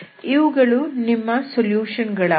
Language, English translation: Kannada, So these are your solutions